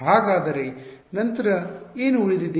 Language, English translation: Kannada, So, what is left then